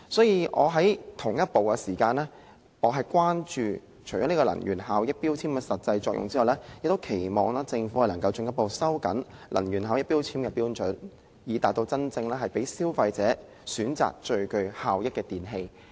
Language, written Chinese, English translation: Cantonese, 與此同時，我除了關注能源標籤的實際作用外，亦期望政府能進一步收緊能源標籤的標準，以致真正讓消費者選擇最具效益的電器。, While we are concerned about the practical function of energy labels we expect the Government to further tighten the standards of these labels so that consumers can really choose the most energy - efficient electrical appliances